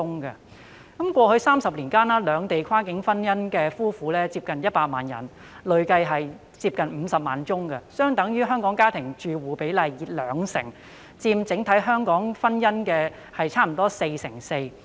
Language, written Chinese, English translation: Cantonese, 在過去30年間，兩地跨境婚姻的夫婦接近100萬人，結婚數字累積近50萬宗，相等於香港家庭住戶比例的兩成，佔香港整體婚姻約 44%。, In the past three decades nearly 1 million people who got married were cross - boundary couples ie . nearly 500 000 marriages accumulatively equivalent to 20 % of the total number of Hong Kong households and around 44 % of the total number of marriages in Hong Kong